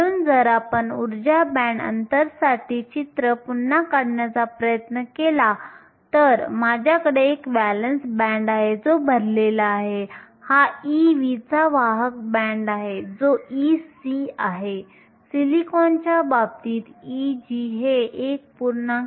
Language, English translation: Marathi, So, if we try to redraw our picture for the energy band gap I will do that here, I have a valence band that is full, this is e v have a conduction band that is e c, e g in the case of silicon is 1